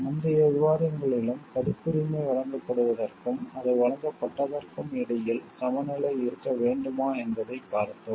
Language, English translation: Tamil, In the earlier discussions also we have seen like if copyright there has to be a balance between copyright granted and the time for what it is granted